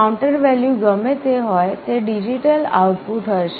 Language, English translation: Gujarati, Whatever is the counter value, will be the digital output